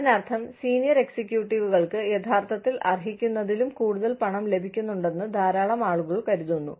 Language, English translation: Malayalam, Which means, people, a lot of people, feel that, senior executives are getting, a lot more money, than they actually deserve